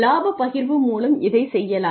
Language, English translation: Tamil, One way this can be done is by profit sharing